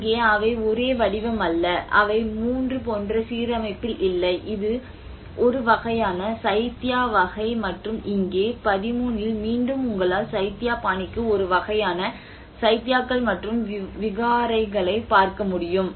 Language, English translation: Tamil, There is also they are not the same form, they are not of the same alignment like you can see from number 3 which is a kind of Chaitya sort of thing and here again in 13 as well you can see a kind of Chaityas and Viharas for Buddhist style